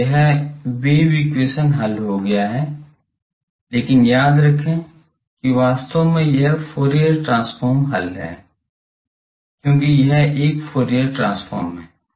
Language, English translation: Hindi, So, this wave equation is solved, but remember actually this is the Fourier transforms solution, because this is a Fourier transform expression